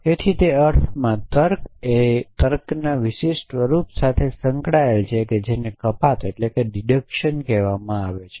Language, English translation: Gujarati, So, in that sense logic is associated with the particular form of reasoning which is called deduction